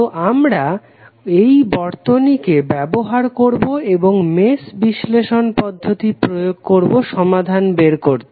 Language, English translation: Bengali, So, we will use this circuit and try to apply the mesh analysis technique and find out the result